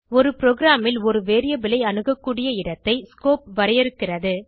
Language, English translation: Tamil, Scope defines where in a program a variable is accessible